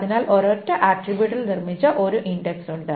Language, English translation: Malayalam, So, there is an index built on a single attribute